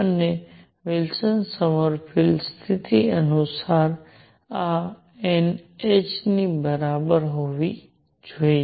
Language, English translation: Gujarati, And according to Wilson Sommerfeld condition this must equal n h